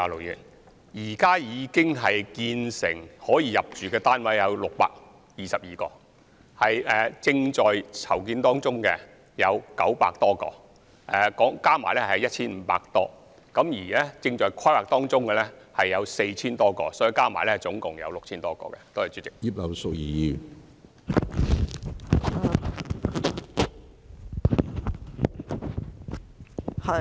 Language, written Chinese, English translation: Cantonese, 現時已建成及可入住的單位共有622個，正在籌建當中的有900多個，合共便有 1,500 多個，而正在規劃當中的有 4,000 多個，所以合共有 6,000 多個。, There are currently 622 completed flats ready for occupation and some 900 flats under construction . That makes a total of some 1 500 flats . Those plus the 4 000 - odd flats under planning amount to a total of more than 6 000 flats